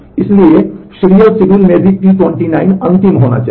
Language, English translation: Hindi, So, the in the serial schedule also T 29 must be the last 1